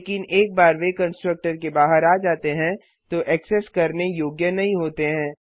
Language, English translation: Hindi, But once they come out of the constructor, it is not accessible